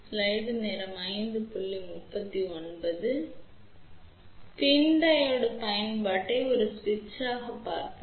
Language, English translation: Tamil, So, now let us see the application of PIN Diode as a switch